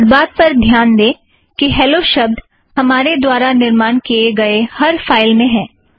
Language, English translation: Hindi, Note the occurrence of hello in all the files that we have created so far